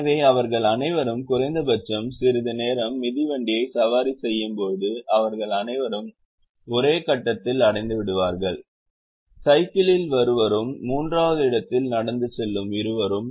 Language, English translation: Tamil, so when all of them ride the bicycle, at least for sometime, all of them will reach at exactly at same point: the two who are walking in, the third who is coming in the cycle